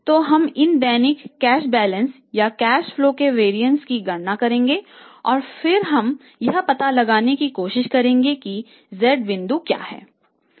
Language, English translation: Hindi, So, we will calculate the variance of these daily cash balances or the cash flows and then we will be trying to find out that what is the Z point or how to calculate it